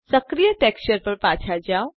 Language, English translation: Gujarati, Scroll back to the active texture